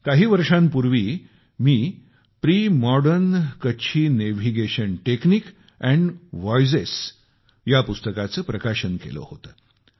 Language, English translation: Marathi, A few years ago, I had unveiled a book called "Premodern Kutchi Navigation Techniques and Voyages'